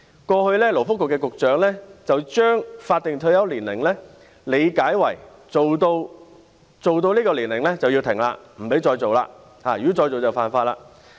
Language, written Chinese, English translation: Cantonese, 過去的勞工及福利局局長將法定退休年齡理解為，工作到這個年齡便須停下來，不可再工作，如果再工作，就是犯法。, The former Secretaries for Labour and Welfare all understood the statutory retirement age as the age at which one must stop working . No more working is allowed and if anyone works any further this is a violation of the law